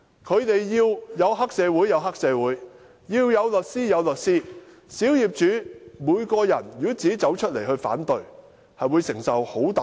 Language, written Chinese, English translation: Cantonese, 他們要黑社會有黑社會，要律師有律師，如果小業主要自己走出來反對，會承受很大壓力。, They have triad members and lawyers at their service . The minority owners will endure great pressure if they come forward to raise any objection by themselves